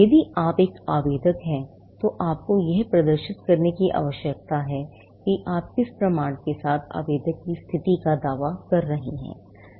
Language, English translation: Hindi, If you need to be an applicant, you need to demonstrate by what proof you are claiming the status of an applicant